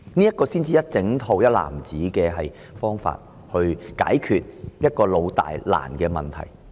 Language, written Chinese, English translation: Cantonese, 這才是整套或一籃子的方法，解決這個"老"、"大"、"難"的問題。, This is the comprehensive way to resolve this long - standing major problem that is difficult to deal with